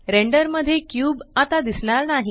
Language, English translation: Marathi, The cube is not visible in the render